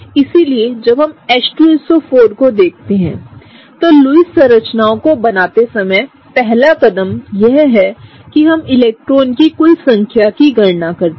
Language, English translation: Hindi, So, when we look at H2SO4, what do we have, first step while drawing Lewis structures is that we count the total number of electrons